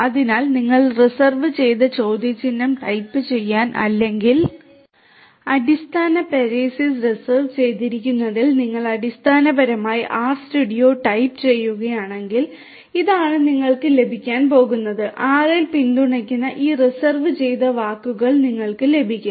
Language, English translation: Malayalam, So, if you basically type in the R studio if you type in question mark reserved or help within parenthesis reserved, this is what you are going to get you are going to get these reserved words that are supported in R